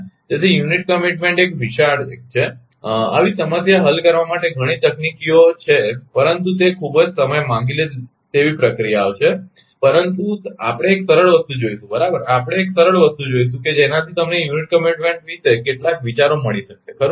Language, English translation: Gujarati, So, unit commitment is a huge 1 there are several techniques are there to solve such problem, but it is a very time consuming process, but we will see the simple thing right we will see the simple thing such that you can have some ideas about the unit commitment right